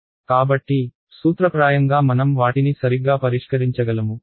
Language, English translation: Telugu, So, in principle I should be able to solve them right